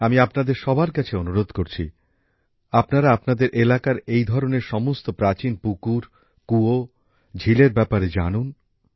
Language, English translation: Bengali, I urge all of you to know about such old ponds, wells and lakes in your area